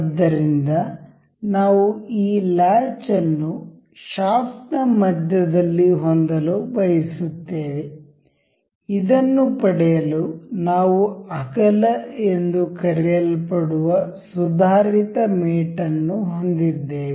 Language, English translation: Kannada, So, suppose, we wish to have this latch in the center of the shaft, to have this we have the mate advanced mate called width